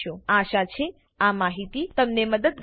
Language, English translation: Gujarati, Hope you find this information helpful